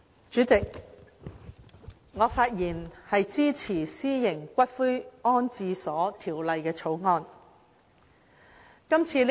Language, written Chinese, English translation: Cantonese, 主席，我發言支持《私營骨灰安置所條例草案》。, President I speak in support of the Private Columbaria Bill the Bill